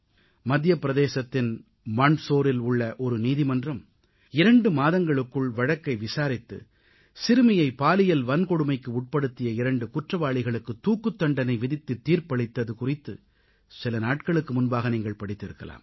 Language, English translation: Tamil, Recently, you might have read in newspapers, that a court in Mandsaur in Madhya Pradesh, after a brief hearing of two months, pronounced the death sentence on two criminals found guilty of raping a minor girl